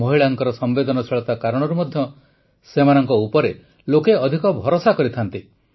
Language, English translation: Odia, Because of the sensitivity in women, people tend to trust them more